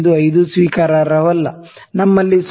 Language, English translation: Kannada, 5 not acceptable, 0